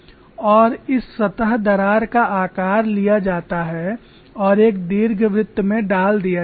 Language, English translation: Hindi, Here we have a specimen with a surface crack and this surface crack shape is taken and put into an ellipse